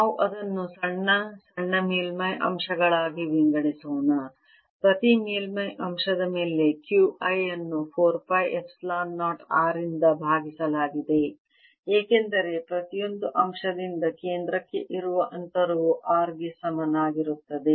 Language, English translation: Kannada, i on each surface element divided by four pi epsilon zero r, because the distance from the each element to the center is same as r